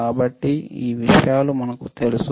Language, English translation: Telugu, So, we know this things right